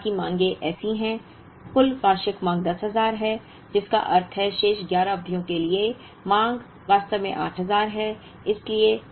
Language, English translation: Hindi, Now, the rest of the demands are such that, the total annual demand is 10000, which means, the demand for the remaining 11 periods on summation, is actually 8000